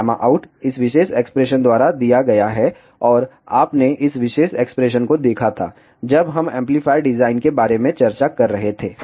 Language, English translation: Hindi, Gamma out is given by this particular expression and you had seen this particular expression when we were discussing about amplifier design